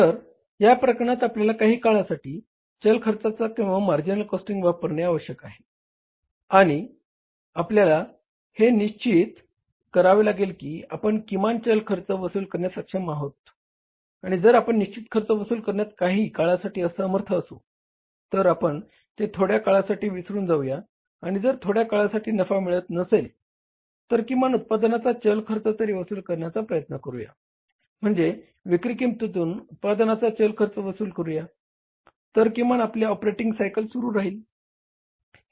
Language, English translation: Marathi, So in this case we have to means use the variable or the marginal costing for some period of time and we have to make sure that we are able to recover the variable cost at least and if the fixed cost is not recoverable forget it for some time and if there is no profits forget it for some time at least you are able to say, cost of production, that is the variable cost of production from the sales value